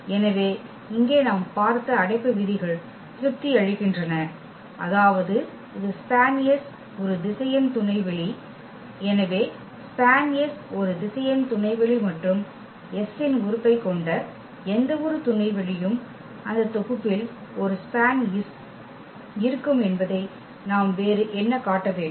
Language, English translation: Tamil, So, what we have seen here the closure properties are satisfied; that means, this is span S is a vector subspace so, span S is a vector subspace and what else we need to show that that any subspace containing the element of S is also that set will also contain a span S and the reason is clear because this is span S contains all the linear combinations